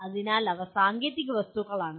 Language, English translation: Malayalam, So those are the technical objects